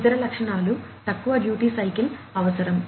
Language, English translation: Telugu, Other features low duty cycle requirement